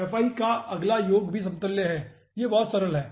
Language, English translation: Hindi, next, summation of fi is equivalent to